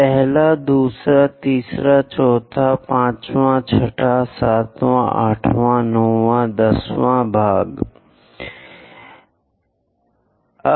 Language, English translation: Hindi, 1st, 2nd, 3rd, 4th, 5th, 6th, 7th, 8th, 9 and 10